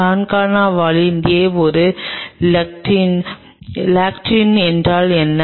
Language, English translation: Tamil, Concana Valin A in a is a lectin what is a lectin